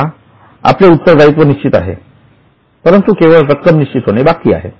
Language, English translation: Marathi, Now, the liability is there is certain, but the amount is still being decided